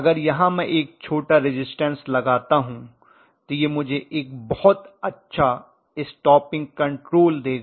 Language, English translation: Hindi, But here also if I put a small resistance it will give me a very good stopping control right